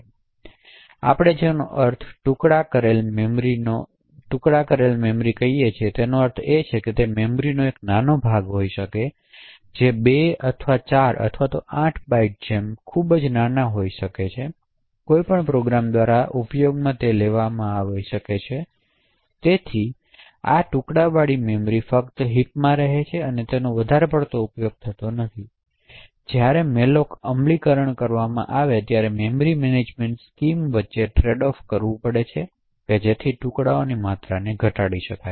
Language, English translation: Gujarati, So what we mean by fragmented memory is that they would be tiny chunk of memory may be of 2 or 4 or 8 bytes which are too small to be actually used by any program, so by these fragmented memory just reside in the heap and is of not much use, so essentially when malloc implementations are made they would have to trade off between the memory management scheme so as to reduce the amount of fragmentation present